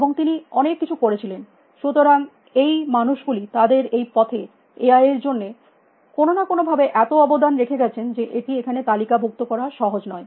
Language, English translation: Bengali, And he has done many, many, so these people who have contributed so much to AI in one way or the other that is not easy to list there